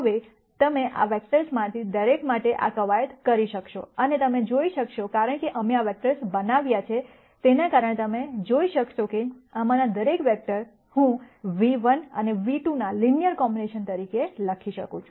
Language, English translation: Gujarati, Now, you could do this exercise for each one of these vectors and you will be able to see, because of the way we have constructed these vectors, you will be able to see that each one of these vectors, I can write as a linear combination of v 1 and v 2